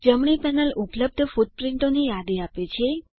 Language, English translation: Gujarati, The right panel gives a list of footprints available